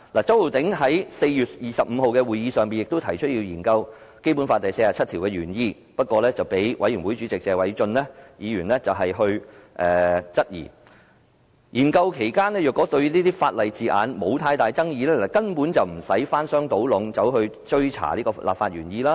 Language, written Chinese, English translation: Cantonese, 周浩鼎議員在4月25日會議上，也提出要研究《基本法》第四十七條原意，但被專責委員會主席謝偉俊議員質疑，因為研究期間若對法例字眼沒有太大爭議，根本無須翻箱倒篋追查立法原意。, At the meeting on 25 April Mr Holden CHOW also proposed to study the original intent of Article 47 of the Basic Law but Mr Paul TSE Chairman of the Select Committee queried the need to do so . Mr TSE was of the view that during the inquiry if there were no great disputes on the wordings of the legal provisions it was not necessary to make great efforts to trace the legislative intent